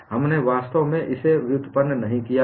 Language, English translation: Hindi, We have not actually derived it